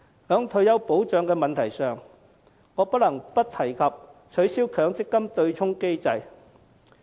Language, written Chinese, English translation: Cantonese, 在退休保障問題上，我不能不提及取消強積金對沖機制。, On the issue of retirement protection I cannot leave out the abolition of the MPF offsetting mechanism